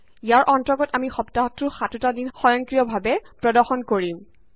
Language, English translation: Assamese, Under this, we will display the seven days of the week automatically